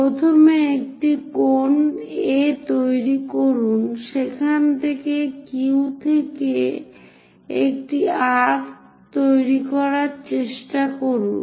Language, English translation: Bengali, For that purpose, what we do is; first of all make an angle A, from there try to make an arc from the Q